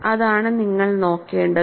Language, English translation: Malayalam, That is the way you have to look at